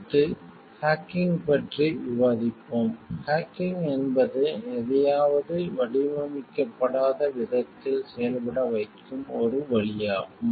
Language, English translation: Tamil, Next, we will be discussing about hacking, hacking is a way of making something function the way, it was not designed to